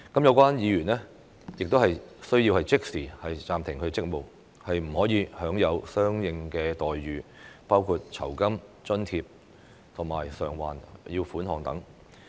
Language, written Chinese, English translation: Cantonese, 有關議員亦須即時暫停職務，不得享受相應待遇，包括酬金、津貼及償還款額等。, The member concerned shall also be suspended from duties immediately and shall not enjoy corresponding entitlements which will include remuneration allowances and reimbursements